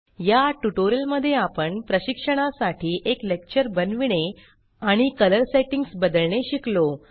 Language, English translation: Marathi, In this tutorial we learnt to create a lecture for training and modify colour settings